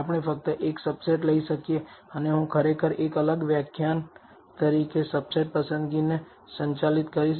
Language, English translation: Gujarati, We may be able to take only a subset and I will actually handle subset selection as a separate lecture